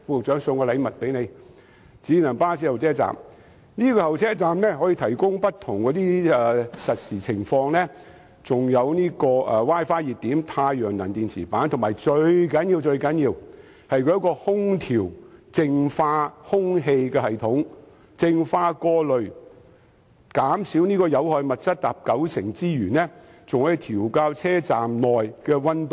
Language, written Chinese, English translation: Cantonese, 智能巴士候車站能提供不同的實時資訊，並備有 Wi-Fi 熱點、太陽能電池板，以及最重要的空調淨化空氣系統，可淨化、過濾、減少有害物質達九成之多，更可調校車站內的溫度。, Passengers will be provided with various kinds of real - time information at an intelligent bus stop which is also equipped with a Wi - Fi hotspot solar panels and most important of all an air conditioning and purifying system . This system can purify filter and reduce up to 90 % of harmful substances in the air and adjust the temperature at the bus stop